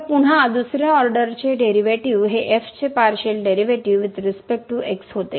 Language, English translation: Marathi, So, again the second order derivative a partial a derivative of with respect to